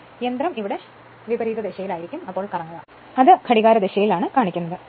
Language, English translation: Malayalam, So, machine will rotate in the opposite direction here, it is shown the in the clockwise direction